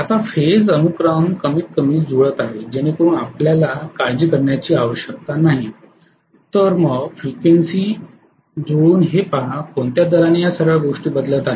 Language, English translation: Marathi, Now you know phase sequence is matching at least right, so that you do not have to worry then match the frequency by looking at, at what rate this is changing all those things